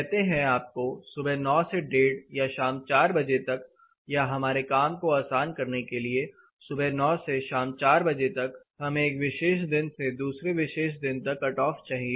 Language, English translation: Hindi, Say you want from 9 to 1:30 or say 4 o’clock in the evening for our ease of working let us say 9 to 4 o’clock in the evening, we want cutoff on a particular day up to a particular day